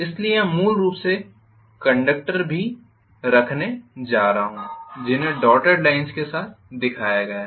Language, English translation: Hindi, So I am going to have essentially here also the conductors which are shown with dotted line,ok